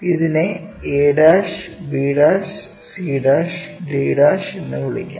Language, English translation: Malayalam, Let us call this is a', b', c', and d'